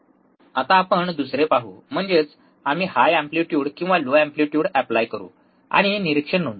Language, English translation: Marathi, Now, let us see another one, another one; that is, we will apply higher or lower amplitude and note down the observation